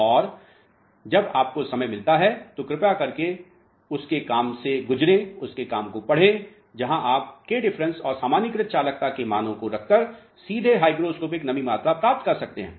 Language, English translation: Hindi, And, when you get time please go through his work where you can substitute the values of k difference and normalized conductivities to get hygroscopic moisture content directly